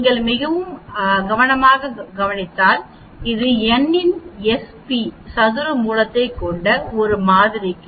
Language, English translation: Tamil, If you look it very carefully this for a one sample we used to have s p divided by square root of n